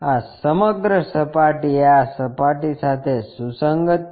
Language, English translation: Gujarati, This entire surface coincides with this surface